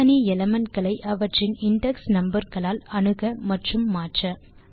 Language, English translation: Tamil, Access and change individual elements by using their index numbers